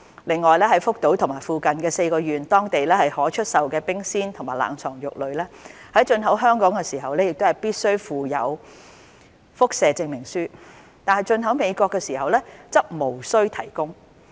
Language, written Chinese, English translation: Cantonese, 另外，在福島和附近4縣當地可出售的冰鮮和冷藏肉類，在進口香港時必須附有輻射證明書，但進口美國時則無須提供。, Moreover chilled and frozen meat that can be put on sale in Fukushima and the neighbouring four prefectures must be accompanied by radiation certificate for import to Hong Kong whereas such requirement is not necessary for import to the US